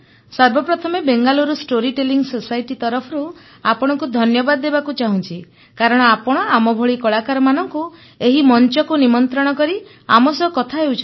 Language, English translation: Odia, First of all, I would like to thank you on behalf of Bangalore Story Telling Society for having invited and speaking to artists like us on this platform